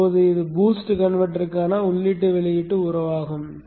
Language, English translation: Tamil, Now this is the input output relationship for the boost converter